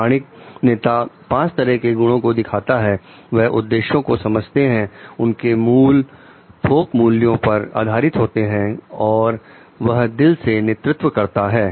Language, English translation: Hindi, Authentic leaders demonstrate five characteristics like; they understand their purpose they their core is based on solid values they are leading from heart